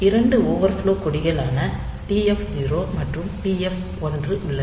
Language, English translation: Tamil, So, there are 2 overflow flags TF 0 and TF 1